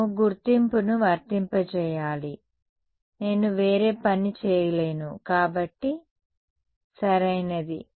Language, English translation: Telugu, We should apply the identity can I not do something else, so, right